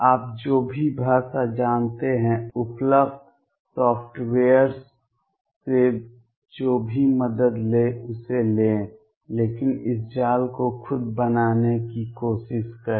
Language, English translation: Hindi, Take whatever help you have from available softwares whatever language you know, but try to make this mesh yourself